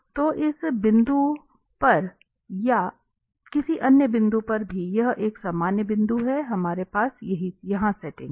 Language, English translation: Hindi, So at this point or at any other point also it is a general point here, we have the setting here